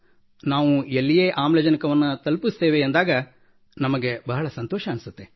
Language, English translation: Kannada, And wherever we deliver oxygen, it gives us a lot of happiness